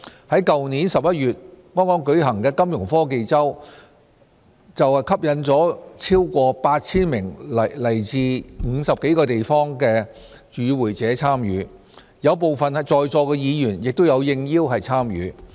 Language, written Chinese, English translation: Cantonese, 剛在去年11月舉行的金融科技周便吸引了超過 8,000 名來自50多個地方的與會者參與，有部分在座議員亦應邀參與。, Last November the Hong Kong Fintech Week drew more than 8 000 attendees from over 50 places and some Members present right now were also invited